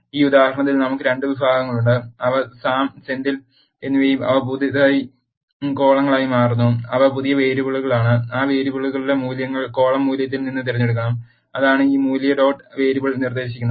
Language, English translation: Malayalam, We have 2 categories in this example, which are Sam and Senthil and they become the new columns, that are new variables and the values for those variables has to be picked from the column value, that is what this value dot variable suggests